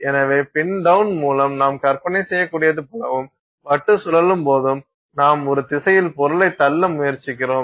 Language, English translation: Tamil, So, as you can imagine with the pin down and as the disk is rotating, you are trying to push the material in one direction